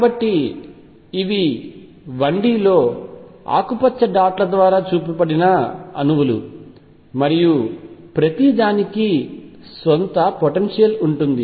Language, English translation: Telugu, So, these are the atoms which are shown by green dots in 1D, and each one has it is own potential